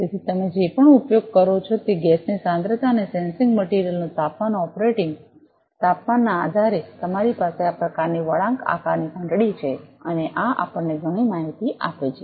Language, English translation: Gujarati, So, depending on the concentration of the gas whatever you are using, and the temperature operating temperature of the sensing material, you have this kind of bell shaped curve and this also gives us lot of information